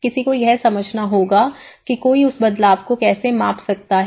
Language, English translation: Hindi, One has to understand that how one can measure that change